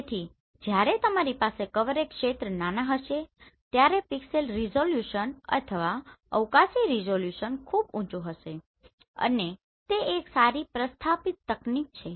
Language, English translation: Gujarati, So when you have smaller coverage area then the pixel resolution or the spatial resolution will be very high and it is a well established technology